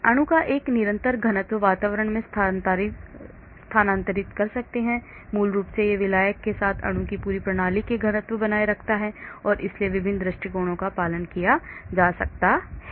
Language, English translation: Hindi, Molecules can move in a constant density environment, basically it maintains the density of the entire system of molecule with the solvent so different approaches can be followed